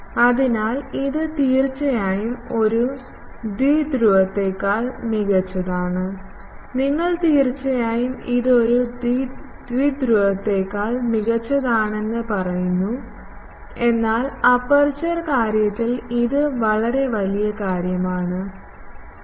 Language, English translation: Malayalam, So, it is definitely better than a dipole, you say it is definitely better than a dipole, but in aperture thing, it is a such large thing 3